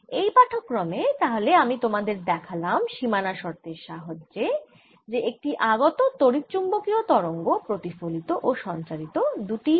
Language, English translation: Bengali, so what are shown you in this lecture is through the boundary condition when an is incident electromagnetic wave comes, it gets both reflected as well as transmitted